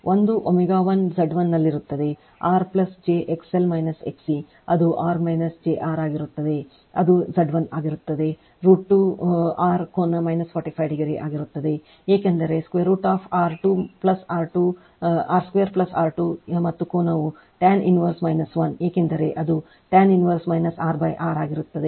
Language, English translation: Kannada, One will be at omega 1 Z 1 will be r plus j XL minus XC that will be r minus jR that will be Z 1 will be root 2 R angle minus 45 degree because on root over R square plus R square and angle will be tan inverse minus 1 because it will be tan inverse your minus r by r